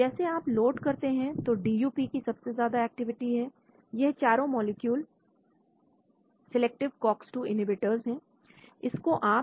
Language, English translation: Hindi, As you load DuP has the highest activity, so these 4 molecules are selective Cox 2 inhibitors